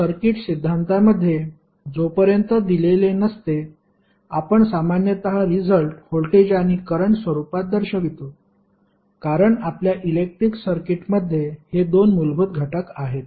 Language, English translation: Marathi, So, in the circuit theory we generally represent the answers in the form of voltage and current until and unless it is specified because these are the two basic elements in our electric circuit